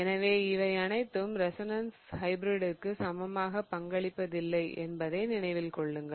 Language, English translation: Tamil, So, remember that all of these are not contributing equally towards the resonance hybrid